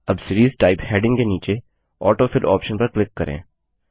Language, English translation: Hindi, Now under the heading, Series type, click on the AutoFill option